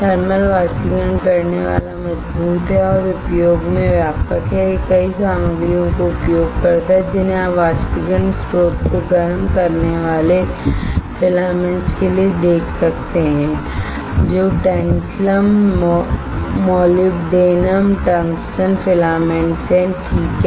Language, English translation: Hindi, Thermal evaporator is robust is simple and widespread in use it uses several materials you can see here for filaments to heat evaporation source that is tantalum molybdenum tungsten filaments alright